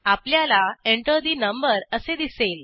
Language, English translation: Marathi, We see Enter the number